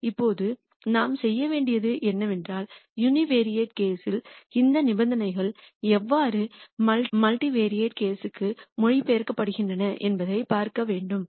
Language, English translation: Tamil, Now, what we need to do is we need to see how these conditions in the uni variate case translate to the multivariate case